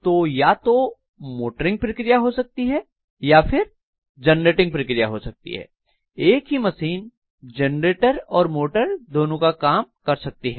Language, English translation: Hindi, So I can have either motoring operation or generating operation, the same machine can work as both generator as well as motor